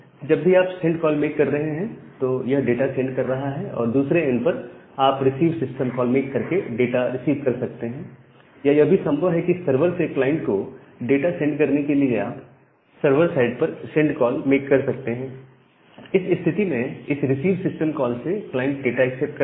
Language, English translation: Hindi, So, whenever you are making a send call, it is sending the data; at the other end you can receive that data by making a receive system call or you can make a send to the from the server side to send some data from the server to the client